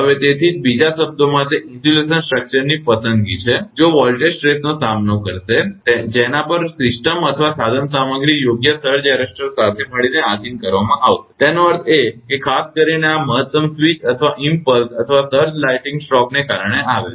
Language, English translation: Gujarati, So, that is why in other words it is the selection of an insulation structure that will withstand the voltage stresses to which the system or equipment will be subjected together with the proper surge arrester; that means, particularly this maximum switch or impulse or surge comes due to the lightning stroke